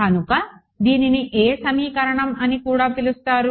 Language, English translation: Telugu, So, that is also called as which equation